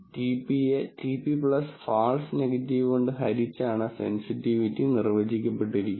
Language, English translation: Malayalam, Sensitivity is defined as TP by TP plus false negative